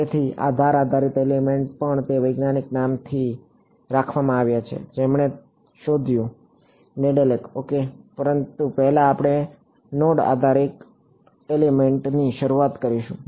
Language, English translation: Gujarati, So, this edge based elements also are they are named after the scientist who discovered it Nedelec ok, but first we will start with node based elements